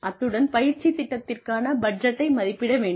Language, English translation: Tamil, And, estimate a budget for the training program